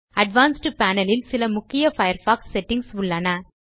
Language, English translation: Tamil, The Advanced Panel contains some important Firefox settings